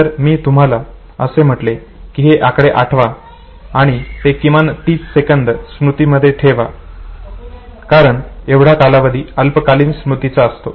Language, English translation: Marathi, If I ask you to memorize this number and retain it at least for 30 seconds because that is the duration of the shorter memory